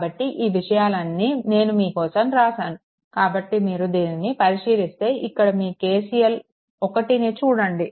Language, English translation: Telugu, So, all these things I wrote for you; so, if you look into this if you look into this that your your KCL 1